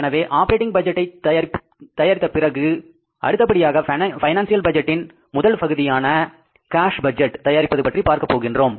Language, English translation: Tamil, Now, after the operating budget, financial budgets, and in the first part of the financial budget is the cash budget